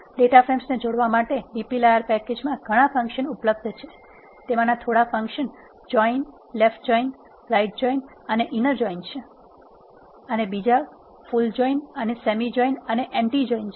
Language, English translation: Gujarati, There are several functions that are available in the dplyr package to combine data frames, few of them are left join, right join and inner join and there are full join, semi join and anti join